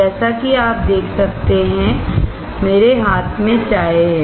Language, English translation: Hindi, As you can see, I have tea in my hand